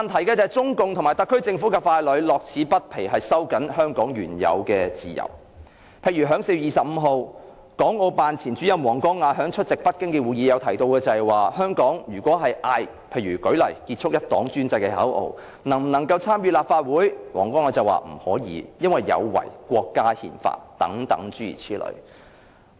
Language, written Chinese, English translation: Cantonese, 但是，中共和特區政府傀儡樂此不疲地收緊香港原有的自由，例如港澳辦前主任王光亞在4月25日出席北京的會議時提到，在香港呼喊"結束一黨專政"口號的人不可以參選立法會，因為此舉有違國家憲法。, However CPC and its puppets in the Hong Kong Government revel in tightening the freedoms originally available in Hong Kong . For instance former director of the Hong Kong and Macao Affairs Office WANG Guangya said at a meeting in Beijing on 25 April that those calling for an end to one - party dictatorship may not be allowed to run in Legislative Council elections as they violate Chinas constitution